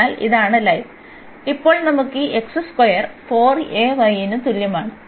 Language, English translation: Malayalam, So, this is the line and now we have this x square is equal to 4 a y